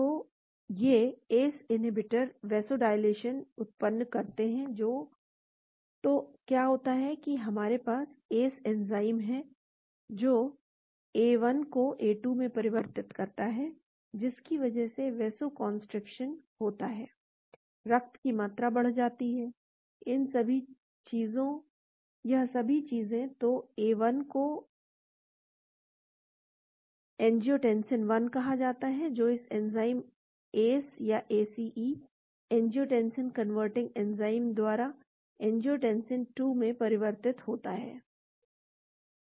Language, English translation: Hindi, So, these ACE inhibitors produce vasodilation means, so what happens is; we have ACE enzyme which converts A1 to A2, which leads to Vasoconstriction, increased blood volume all these things , so A1 one is called angiotensin 1 which leads to angiotensin 2 by this enzyme ACE; angiotensin converting enzyme